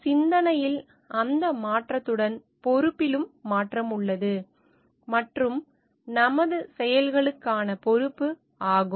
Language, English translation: Tamil, So, with that shift in thinking there is a change in responsibility also, and our accountability for our actions